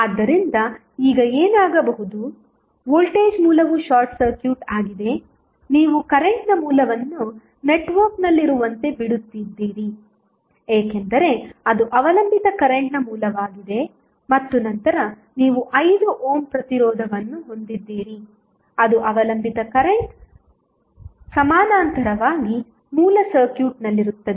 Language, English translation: Kannada, So, what will happen now the voltage source is short circuited, you are leaving current source as it is in the network, because it is a dependent current source and then you have 5 ohm resisters which is there in the circuit in parallel with dependent current source